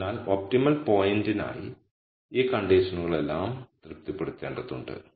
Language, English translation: Malayalam, So, all of these conditions have to be satisfied for an optimum point